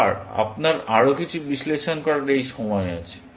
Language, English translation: Bengali, Again, you do have this time to do some further analysis